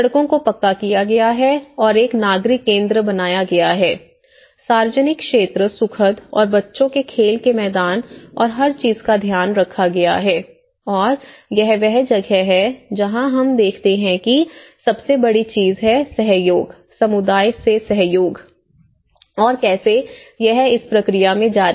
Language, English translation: Hindi, The streets are paved and a civic centre was built, public areas are pleasant and children playgrounds, everything has been taken care of and this is where, we see the biggest thing is the cooperation, the cooperation from the community, this is how, how it is continuing in this process